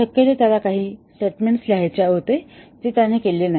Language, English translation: Marathi, Possibly he just was wanting to write some statement he did not